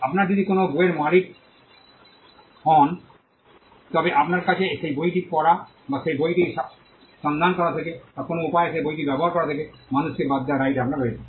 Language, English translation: Bengali, If you own a book, you have the right to exclude people from reading that book or from looking into that book, or from using that book in any way